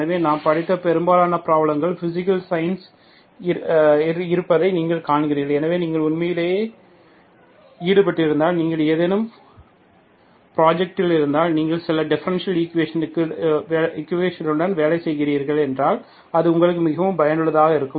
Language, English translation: Tamil, So you see that most of the problem that I have, we have studied are basically on physical sciences, so that is really useful for you to, if you if you actually involved in, if you are in some project, if you are working with some differential equation, working with some model, so partial differential equation